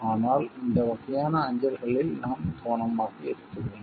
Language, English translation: Tamil, But we really need to be careful about these type of mails